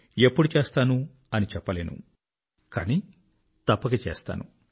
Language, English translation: Telugu, WHEN, I can't say, but I'll do it for sure